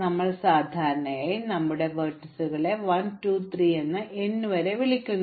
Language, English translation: Malayalam, Remember that we usually call our vertices 1, 2, 3 up to n